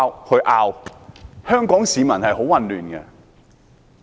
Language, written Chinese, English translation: Cantonese, 香港市民感到很混亂。, Hong Kong people would be very confused then